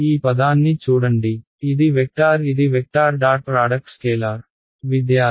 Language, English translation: Telugu, Right look at this term this is a vector this is vector dot product scalar